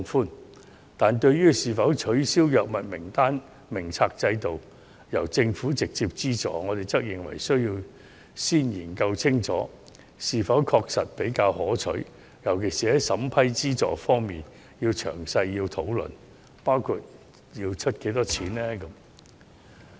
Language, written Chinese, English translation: Cantonese, 然而，對於是否取消藥物名冊制度，由政府直接資助，我們則認為需要先研究清楚後者是否確實比較可取，在審批資助方面尤其須作詳細討論，包括政府出資的金額。, Nonetheless in regard to the proposal of abolishing the system of Drug Formulary and having the Government directly offer drug subsidies we opine that it is necessary to first study clearly whether the latter is genuinely more preferable while detailed discussion is especially warranted in the vetting and approving of subsidies including the amount subsidized by the Government